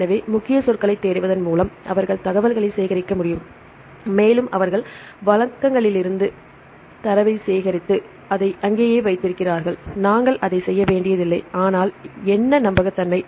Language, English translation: Tamil, So, where they can collect the information by keyword searching and they put the collect the data from the resources and put it as it is right there we do not we have to work on that, but what the reliability